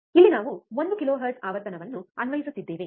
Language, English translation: Kannada, Here we are applying one kilohertz frequency